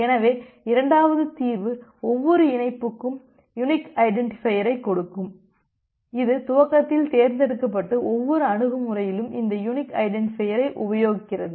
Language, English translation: Tamil, So, the second solution can be like that give each connection unique identifier, which is chosen by the initiating party and put that unique identifier in each approach